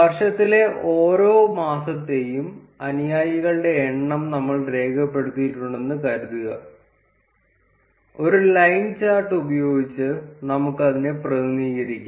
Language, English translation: Malayalam, Assuming that we recorded the number of followers for each month of the year, we can represent it using a line chart